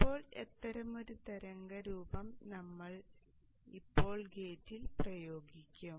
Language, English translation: Malayalam, Now such a waveform we will apply at the gate of this